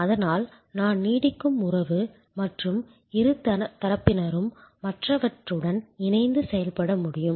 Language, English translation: Tamil, So, that the relationship I can last and both parties can co operative which other